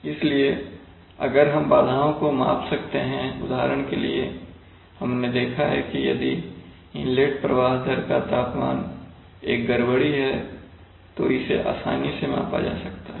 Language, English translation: Hindi, So if we can measure the disturbances then, for example, we have seen that if the inlet temperature, if the temperature of the inlet flow rate is a disturbance, then it can be easily measured